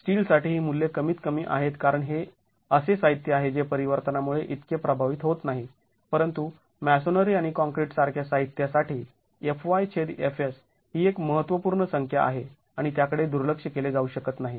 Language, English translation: Marathi, For steel these values are much lesser because it's a material which is not affected so much by variability but for materials like masonry and concrete FY by FS is a significant number and cannot be neglected